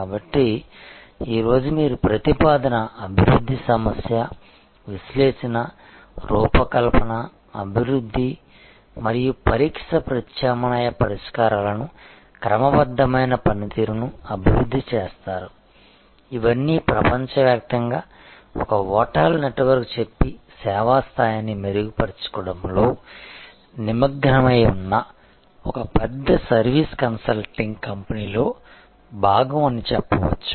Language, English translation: Telugu, So, today is as you see proposal development problem analysis design develop and test alternative solutions develop systematic performance measures these are all part of say a large service consulting company engaged in improving the service level of say a hotel network globally